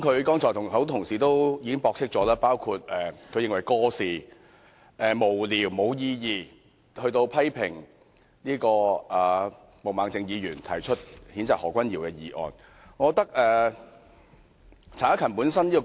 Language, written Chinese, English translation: Cantonese, 他剛才指責很多同事過時、無聊、無意義，以及批評毛孟靜議員提出譴責何君堯議員的議案。, He rebuked fellow colleagues for clinging to some outdated silly and meaningless matters and criticized Ms Claudia MO for moving a motion to censure Dr Junius HO